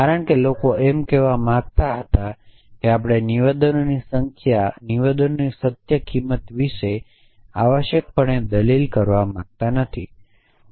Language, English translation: Gujarati, Because people wanted to say that we do not want to argue about truth value of statement essentially